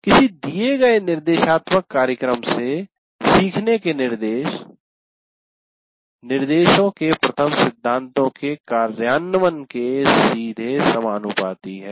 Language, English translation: Hindi, So, learning from a given instructional program will be facilitated in direct proportion to the implementation of the first principles of instruction